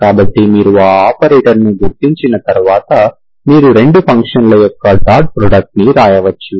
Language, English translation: Telugu, So this is what, so once you identify this operator, we can write the dot product of 2 functions